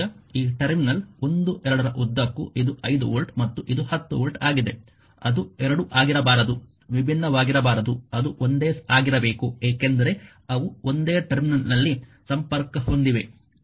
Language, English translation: Kannada, Now, this one across this terminal 1 2 this is a 5 volt and this is a 10 volt it cannot be 2 cannot be different right it has to be same because they are connected across the same terminal